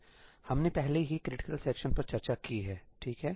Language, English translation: Hindi, we already discussed critical sections, right